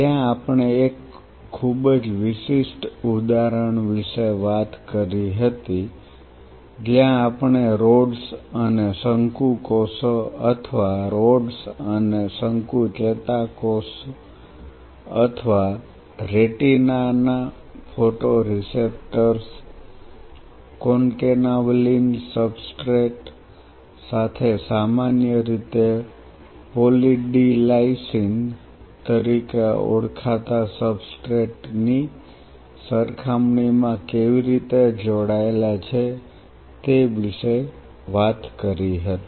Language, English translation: Gujarati, If you recollect in the last class where we concluded we talked about a very specific example where we talked about how the rods and cone cells or the rod and cone neuron or the photoreceptors of the retina preferentially attached to a Concanavalin substrate as compared to a commonly known substrate called Poly D Lysine